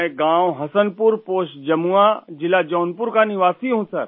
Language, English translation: Urdu, I am a resident of village Hasanpur, Post Jamua, District Jaunpur